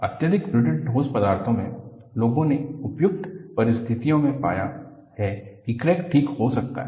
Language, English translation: Hindi, In highly brittle solids, people have found that under suitable conditions the crack can heal